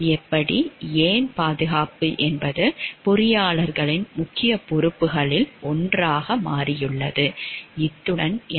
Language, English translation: Tamil, How, why safety has become one of the major responsibilities of the engineers in the continuing next discussion